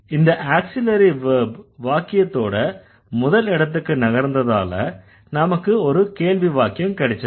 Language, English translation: Tamil, So, this auxiliary verb has moved to the sentence initial position as a result we got the interrogative sentence